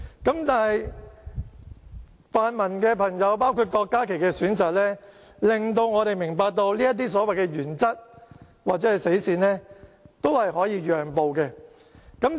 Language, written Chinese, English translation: Cantonese, 但是，泛民朋友，包括郭家麒議員的選擇，令我們明白到就這些所謂原則或死線，都是可以讓步的。, Nonetheless we learn from the choice of pan - democratic Members including Dr KWOK Ka - ki that the so - called principle or stance can be compromised but for whom can it be compromised?